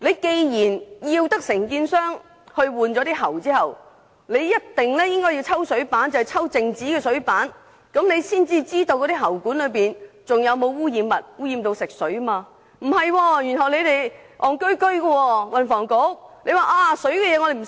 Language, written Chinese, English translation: Cantonese, 既然當局要求承建商更換喉管，便一定要抽取靜止的水樣本進行化驗，才可知道喉管內是否含有污染食水的物質，而不是這樣進行化驗。, The authorities require building contractors to replace water pipes so it is common sense that they must also collect samples of stagnant water for testing if they are to ascertain whether the drinking water after pipe replacement still contains any pollutants . They must not follow the same old protocol